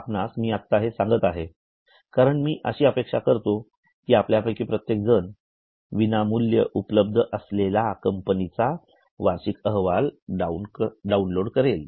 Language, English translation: Marathi, I am telling you this right away because I am expecting each one of you to download the annual report of the company